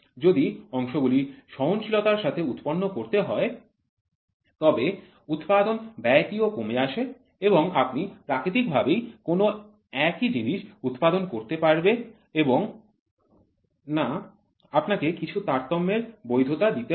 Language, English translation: Bengali, If the parts are to be produced with tolerance then the cost of production becomes economical and it is also by nature that you cannot produce the same part or identical part once again you always give some you permit some variation